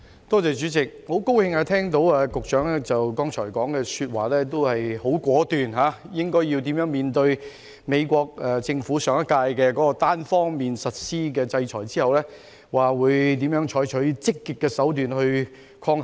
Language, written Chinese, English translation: Cantonese, 代理主席，很高興聽到局長剛才的回應十分果斷，指出怎樣面對上屆美國政府單方面實施的制裁，以及怎樣採取積極的手段抗衡。, Deputy President I am very pleased that the Secretary has responded to the questions very decisively pointing out how the Government will handle the sanctions unilaterally imposed by the last US Administration and what active measures will be adopted to counteract the effect of the sanctions